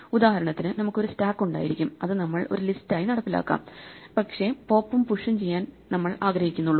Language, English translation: Malayalam, For instance, we would have a stack, we might implement as a list, but we would only like pop and push